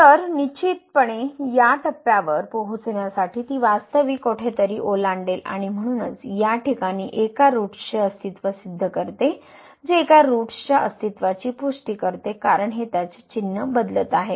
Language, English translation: Marathi, So, definitely to reach to this point it will cross somewhere the real axis and so, that proves the existence of one root in this case which confirms the existence of one root because this is changing its sign